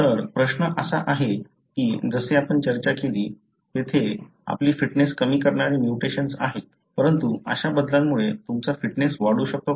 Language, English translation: Marathi, The question is that, as we discussed there are mutations that reduces your fitness, but can there by such change which increases your fitness